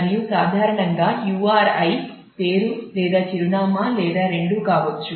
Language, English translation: Telugu, And URI in general could be either the name or the address or both of them